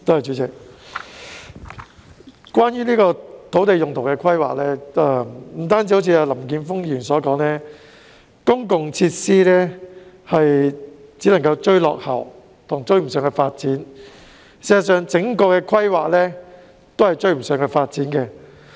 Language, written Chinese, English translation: Cantonese, 主席，關於土地用途規劃，不但如同林健鋒議員所說，公共設施只能追落後，事實上，整體規劃全都追不上發展。, President when it comes to land use planning it is not just that the provision of public facilities falls behind as remarked by Mr Jeffrey LAM . In fact the overall planning has failed to catch up with the development